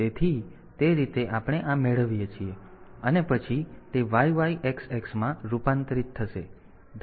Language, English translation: Gujarati, So, that way we get this then this it will be converted to YYXX